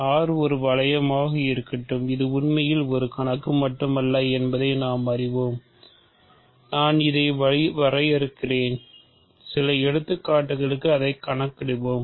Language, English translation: Tamil, So, let R be a ring, we know that this is really more not just a problem, but I am defining then you think and we will compute it for some examples